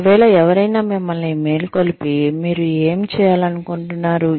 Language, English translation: Telugu, If, somebody were to wake you up, and ask you, what you want to do